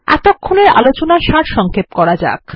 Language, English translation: Bengali, Let us summarize what we just said